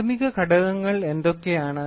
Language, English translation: Malayalam, So, what are the primary elements